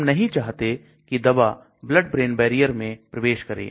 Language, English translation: Hindi, We do not want the drug to penetrate the blood brain barrier